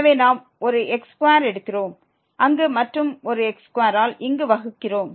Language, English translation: Tamil, So, we take 1 square there and divided by 1 square here